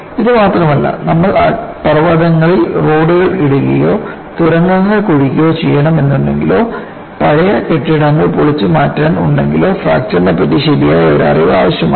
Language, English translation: Malayalam, Not only this,suppose, you have to lay the roads in mountains we have, or digging up tunnels, and demolishing old buildings require knowledge of fracture to effectively and selectively remove materials